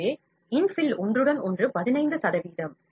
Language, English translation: Tamil, So, infill overlap is 15 percent